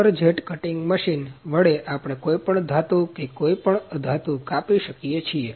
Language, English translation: Gujarati, From with water jet cutting machine, we can cut any metal and in non metal